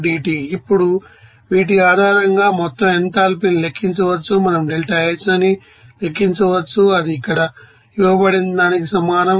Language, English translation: Telugu, So, this is your you know that integral forms of that equation for this enthalpy here, that is delta H that will be is equal to n into this